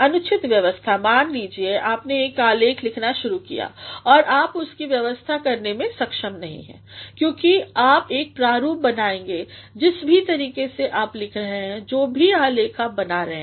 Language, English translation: Hindi, Improper arrangement; suppose you started writing a document and you are not able to arrange it; because you will create a sort of outline whatever way you are writing whatever document you are going to craft